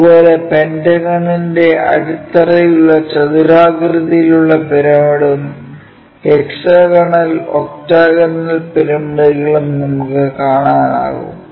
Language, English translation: Malayalam, Similarly, rectangular pyramid having base pentagonal pyramid having a base of pentagon, and ah hexagonal and octagonal pyramids also